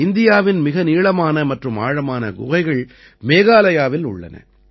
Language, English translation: Tamil, Some of the longest and deepest caves in India are present in Meghalaya